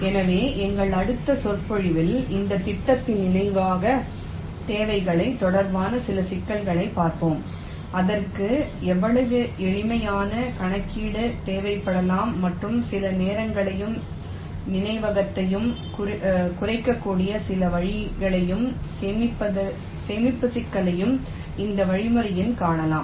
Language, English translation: Tamil, so in our next lecture we shall look at some issues regarding the memory requirements of this scheme, how much memory it can require, some simple calculation and some ways in which you can reduce the time, as well as the memory or in storage complexity in this algorithm